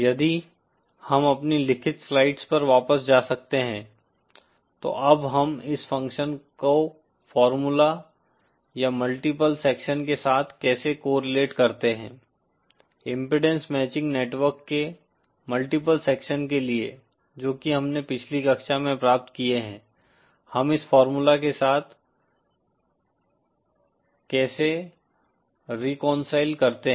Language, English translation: Hindi, If we can back to our written slides, now how do we correlate this function with the formula or multiple section, for multiple sections of impedance matching network that we have derived in the previous class, how do we reconcile this formula with that